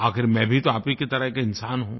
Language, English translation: Hindi, After all I am also a human being just like you